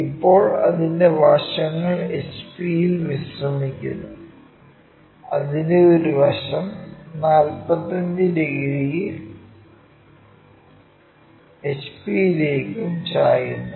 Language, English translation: Malayalam, Now its sides are resting on HP and one of its sides with this surface 45 degrees inclined to HP